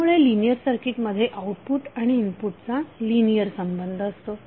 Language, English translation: Marathi, So in the linear circuit the output is linearly related to it input